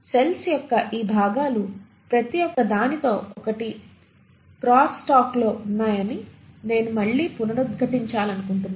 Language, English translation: Telugu, I again want to reiterate that each of these components of the cells are in crosstalk with each other